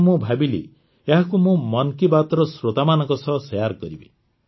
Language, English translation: Odia, I liked this effort very much, so I thought, I'd share it with the listeners of 'Mann Ki Baat'